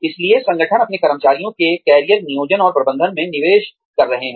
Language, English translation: Hindi, So, organizations are investing, in career planning and management, of their employees